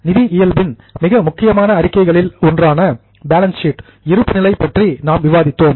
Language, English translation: Tamil, We are discussed about balance sheet which is one of the most important statements of financial nature